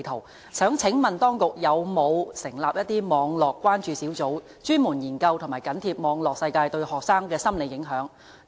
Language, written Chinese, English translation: Cantonese, 我想請問當局有否成立網絡關注小組，專門研究和緊貼網絡世界對學生的心理影響？, I would like to ask if the authorities have established any concern group to conduct focused study of and keep close watch on how the cyber world impacts students psychological development?